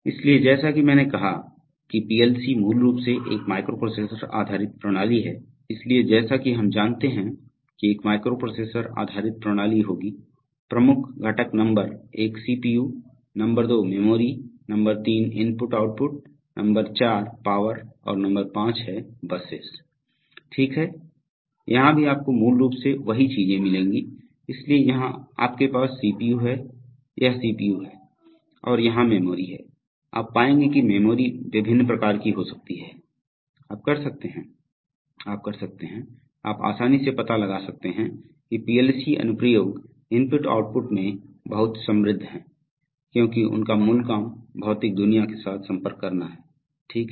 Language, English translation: Hindi, So as I said that a PLC is basically a microprocessor based system, so as we know that a microprocessor based system will have, the major components are number one CPU, number two memory, number three input/ output, number four power and number five the buses, right, so here also you will find basically the same things, so here you have the CPU, this is the CPU and here is the memory, as we will see memory can be of various types and you will find, you can, you can, you can easily make out that, the PLC applications are very rich in I/O because their basic job is to interact with the physical world, right